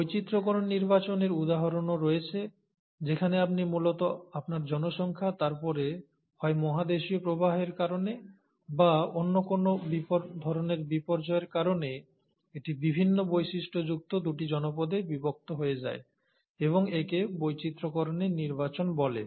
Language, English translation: Bengali, There are also examples of diversifying selection wherein you have originally your population, and then either because of a continental drift, or some other kind of catastrophe, this gets split into two populations with different characteristics and that is called as the diversifying selection